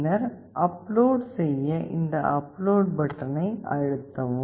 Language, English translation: Tamil, And then we press this upload button to upload it